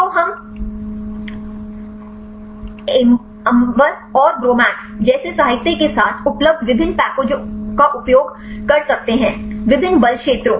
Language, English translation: Hindi, So, we can use various packages available with the literature like Amber or the Gromacs; different force fields